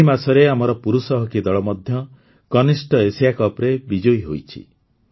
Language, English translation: Odia, This month itself our Men's Hockey Team has also won the Junior Asia Cup